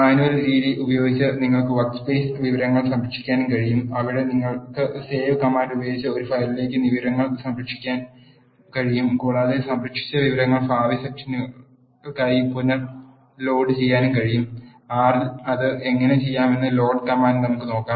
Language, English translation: Malayalam, You can also save the workspace information using manual method where you can save the information to a file using the save command and the saved information can be reloaded for the future sessions using the load command let us see how to do that in R